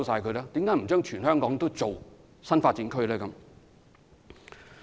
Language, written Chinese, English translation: Cantonese, 為何不在全港建立新發展區？, Why do we not develop new development areas across Hong Kong?